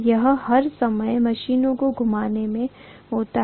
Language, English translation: Hindi, This happens all the time in rotating machines